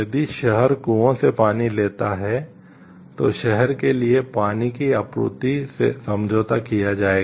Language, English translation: Hindi, If the city takes water from the wells, the water supply for the city will be compromised